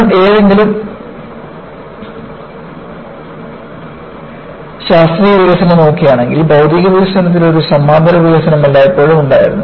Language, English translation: Malayalam, See, if you look at any scientific development, there was always a parallel development on material development